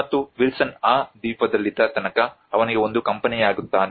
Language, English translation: Kannada, And Wilson becomes a company for him throughout his stay in that island